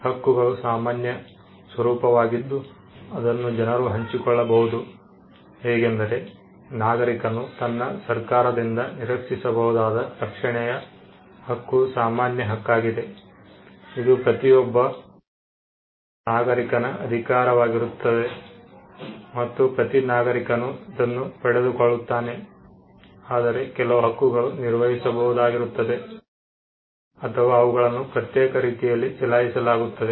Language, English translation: Kannada, Rights can be of a general nature which are shared by people; like, the right of protection a citizen expects from the government is a general right which every citizen can claim and every citizen will get, whereas there are certain rights that could be operated, or that could be exercised in an exclusive manner